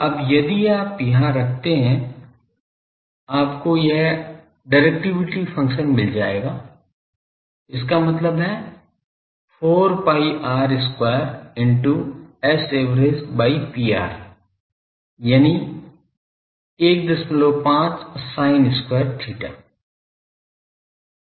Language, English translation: Hindi, Now, if you put that you will get that directivity function ; that means, 4 pi r square into S a v by P r that will be one point 5 sin square theta